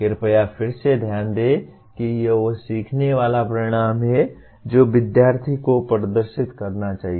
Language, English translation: Hindi, Please again note the it is the exit learning outcomes that the student should display